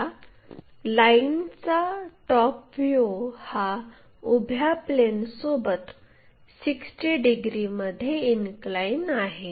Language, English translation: Marathi, Now, this top view of this line appears inclined to VP at 60 degrees